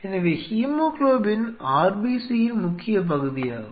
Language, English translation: Tamil, So, hemoglobin is the key part of the RBC’s